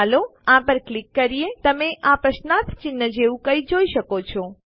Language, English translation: Gujarati, Let us click on this.You may have seen something like this, a question mark